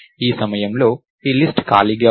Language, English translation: Telugu, At this point of time, this list is empty